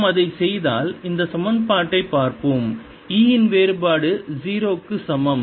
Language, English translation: Tamil, if we do that, lets look at this equation: divergence of e is equal to zero